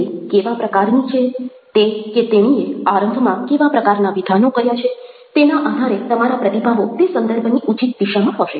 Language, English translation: Gujarati, now, depending on the kind of person the other one is the kind of opening statements he has made or she has made your responses will be appropriately geared to those contexts